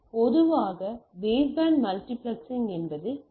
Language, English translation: Tamil, So, typically the baseband multiplexing is the TDM